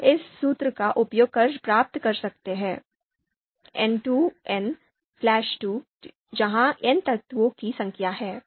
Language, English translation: Hindi, So that we can derive using this formula n square minus n divided by two where n is the number of elements